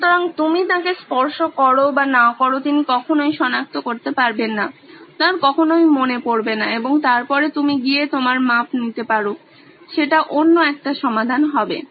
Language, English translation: Bengali, So, he can’t even detect whether you are touching him or not, he would never remember and then you can go and take your measurements that would be another solution there